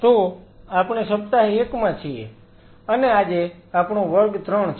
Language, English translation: Gujarati, So, we are into Week 1 and today is our class 3